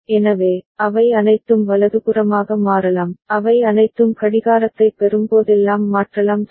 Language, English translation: Tamil, So, all of them can toggled right, all of them can toggle whenever they get the clock right